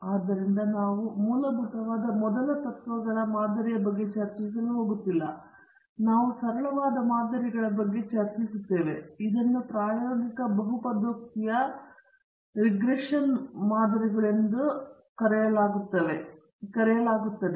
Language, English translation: Kannada, So, we are not going to discuss about very fundamental first principles model, we are going to discuss about very simple models, these are called empirical polynomial regression models